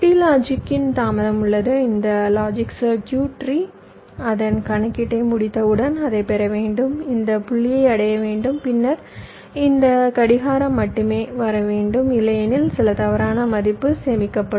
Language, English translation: Tamil, so what i am saying is that there is a delay of t logic and when this logic circuit has finish its calculation it must receive, reach this point and then only this clock should come, otherwise some wrong value might get stored